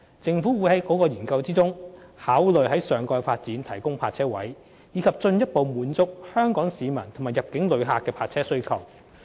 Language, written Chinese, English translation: Cantonese, 政府會在該研究中考慮在上蓋發展提供泊車位，以進一步滿足香港市民及入境旅客的泊車需要。, The Government will study the provision of parking spaces at the topside development to further meet the parking demand of Hong Kong residents and inbound visitors